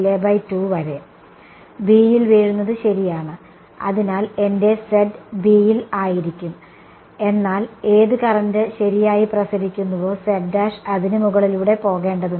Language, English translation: Malayalam, Falling on B that is all right; so, my z is going to be on B, but z prime has to go over whichever current is radiating right